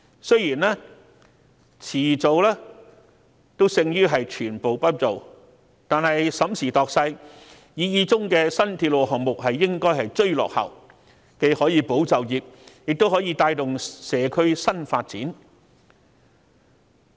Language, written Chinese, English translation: Cantonese, 雖然遲做總勝於全部不做，但審時度勢，擬議中的新鐵路項目理應追落後，既可保就業，亦可帶動社區新發展。, Though it is better late than never given the current situation and circumstances we should play catch - up on the proposed new railway project in order to stabilize jobs and encourage new community growth